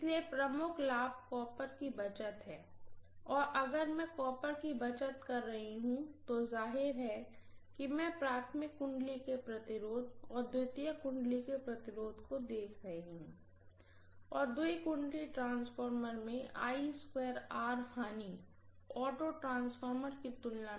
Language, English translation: Hindi, So the major advantage is saving on copper and if I am having saving on copper, obviously if I am looking at the resistance of the primary winding and resistance of the secondary winding I would have twice the I square R losses in a two winding transformer as compared to what I would get in an auto transformer